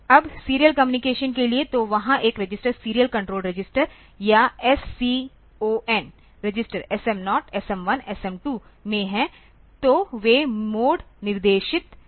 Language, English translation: Hindi, Now, for serial communication; so, there is a register for serial control register or SCON register in this SM0, SM1, SM2; so, they are the mode specifier